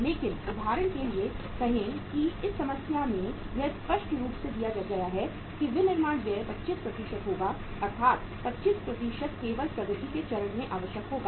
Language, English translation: Hindi, But say for example in this problem it is clearly given that manufacturing expenses will be 25% means 25% will be only required at the work in progress stage